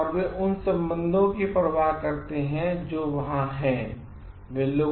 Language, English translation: Hindi, They care for the relations that there in